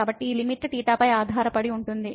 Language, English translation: Telugu, So, this limit depends on theta